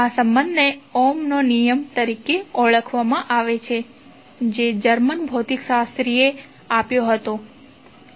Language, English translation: Gujarati, This relationship is called as Ohms law, which was given by the, that German physicist